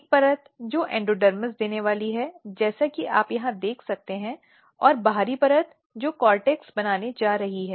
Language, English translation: Hindi, One layer which is going to give endodermis as you can see here and the outer layer which is going to make the cortex